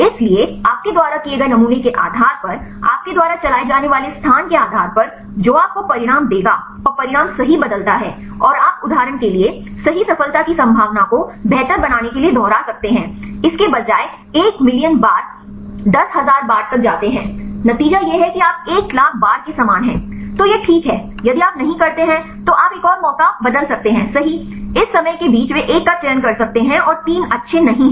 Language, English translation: Hindi, So, depending upon the sampling you do, depending out the space you walk that will give you the outcome and the outcome varies right and you can repeat to improve chance of success right for example, instead of one million times go to 10000 times, with the result is similar to the one thou one million times then that is fine if you not you can change another chance right also among these times they can choose one and 3 are not good